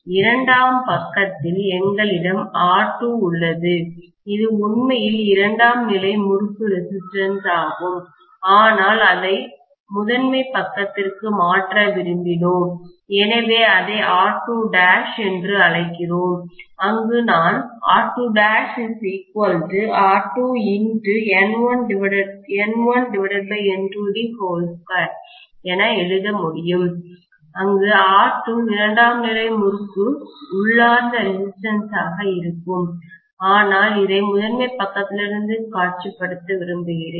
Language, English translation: Tamil, Then we said that on the secondary side, we have R2, which is actually the resistance of the secondary winding itself but we wanted to transfer it over to the primary side, so we call that as R2 dash, where I can write R2 dash equal to R2 multiplied by N1 by N2 the whole square, where R2 is going to be the inherent resistance of the secondary winding but I want to visualize this from the primary side